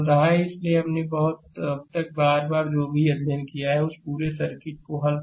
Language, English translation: Hindi, So, whatever we have studied till now again and again you have to solve the whole circuit right